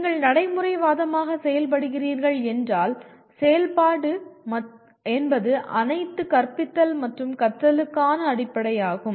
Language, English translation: Tamil, If you are operating in the school of pragmatism, activity is the basis of all teaching and learning